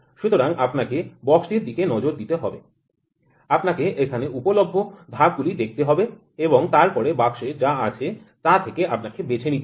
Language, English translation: Bengali, So, you have to look at the box, you have to look at the steps here available and then you have to pick whatever is there in the box you just have to pick with the letters one